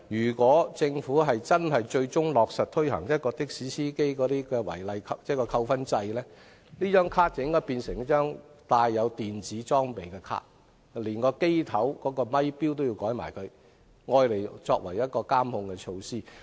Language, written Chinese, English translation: Cantonese, 如果政府最終落實推行的士司機違規記分制度，司機證便應變成帶有電子裝備的證件，車頭咪錶亦應更換以作為監控措施。, If the Government finally introduces a demerit points system for taxi drivers the driver identity plate should then become a document with electronic devices and the taximeter on the dashboard should also be replaced as a monitoring measure